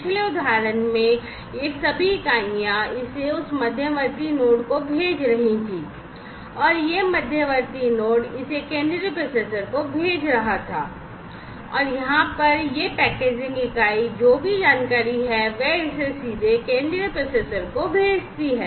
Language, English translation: Hindi, In the previous example all these units, were sending it to that intermediate node and this intermediate node, in turn was sending it to the central processor and over here, this packaging unit, whatever information it has it sends it directly to the central processor